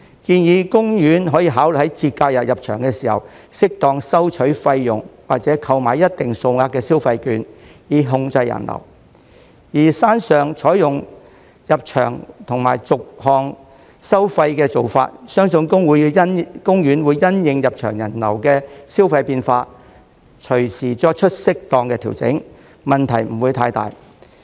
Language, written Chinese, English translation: Cantonese, 建議公園可以考慮在節假日入場時適當收取費用或購買一定數額的消費券，以控制人流；而山上採用入場及逐項收費的做法，相信公園會因應入場人流的消費變化，隨時作出適當的調整，問題不會太大。, I suggest that OP can consider charging a fee as appropriate or requiring visitors to buy consumption vouchers of a certain value for admission during holidays in order to control the flow of people and as for the admission and itemized charging approaches for the upper park I think OP will make appropriate adjustments in the light of changes in visitor spending and so there should not be any big problem